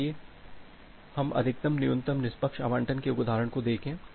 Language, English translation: Hindi, So, let us look into an example of max min fair allocation